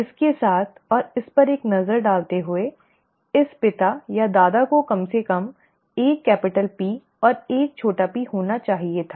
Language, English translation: Hindi, With this, and taking a look at this, this father or the grandfather should have had at least one capital P and one small p